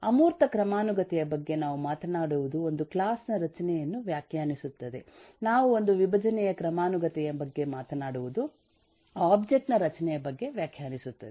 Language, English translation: Kannada, the one which talks about the abstraction hierarchy, we say is defines a class structure, one that talks about the decomposition hierarchy, we say talks about the object structure